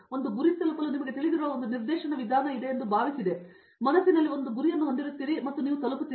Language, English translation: Kannada, I thought it would be a directed approach to you know reach a goal, you would have a goal in mind and you would reach